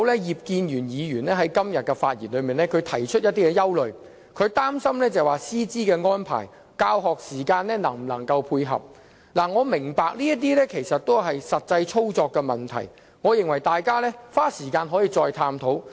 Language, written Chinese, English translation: Cantonese, 葉建源議員今天發言時提出一些憂慮，他擔心師資安排和教學時間能否配合，我明白這些是實際操作的問題，大家可以花時間再探討。, Mr IP Kin - yuen raised some concerns in his speech today saying that he is worried about the availability of teaching staff and teaching hours . I understand that these are operational problems and Members can spend time for further discussion